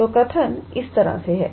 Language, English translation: Hindi, So, the statement goes like this